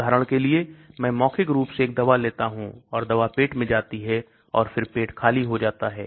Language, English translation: Hindi, For example, I take a drug orally and the drug goes to the stomach and then the stomach empties